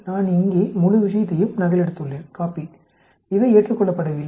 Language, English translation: Tamil, I have just copied the whole thing here, not accepted